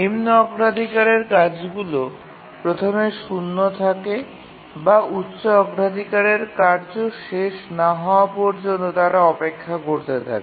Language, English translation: Bengali, The lower priority tasks are preempted or they just keep on waiting until the higher priority task completes